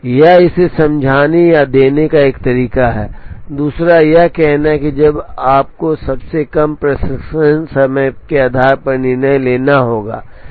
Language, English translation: Hindi, That is one way of explaining it or giving this, the other is to say when you have to make a decision choose based on the one that has the shortest processing time